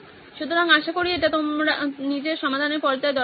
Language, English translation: Bengali, So hopefully this was useful for your own solve stage